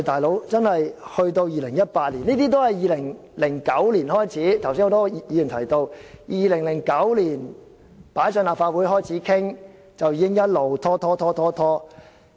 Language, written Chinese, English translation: Cantonese, "老兄"，現在已是2018年，而剛才很多議員也提到，政府在2009年提交立法會開始討論，其後已經一直拖延。, Buddy it is already 2018 now and as many Members mentioned earlier the Government submitted the proposal to the Legislative Council for discussion in 2009 and had since stalled on it